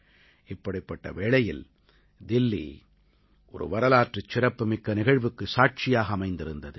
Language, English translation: Tamil, In such an atmosphere, Delhi witnessed a historic event